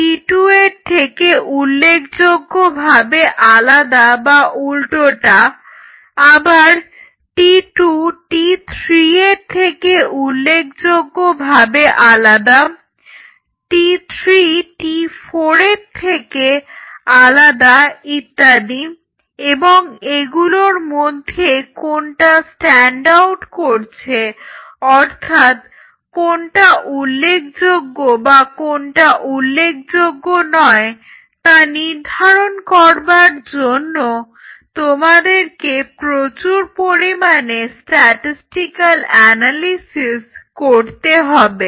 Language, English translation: Bengali, Now, what you have to do all these eight treatments you have to do a comparison, is it significantly different like is T 1 significantly different from T 2 vice versa, T 2 significantly different T 3, T 3 to T 4 likewise since T 1 to T 4 and you have to do a whole lot of statistical analysis to come to the point that out of all these things which one stands out or nothing stands out based on that see say for example, we say ok